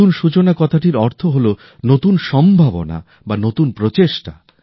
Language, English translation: Bengali, New beginning means new possibilities New Efforts